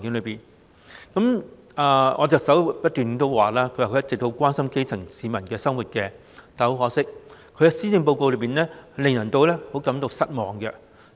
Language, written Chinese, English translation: Cantonese, 特首一直表示很關心基層市民的生活，但很可惜，她的施政報告令人失望。, The Chief Executive has always said that she is very concerned about the lives of grass - roots people . But unfortunately her Policy Address is disappointing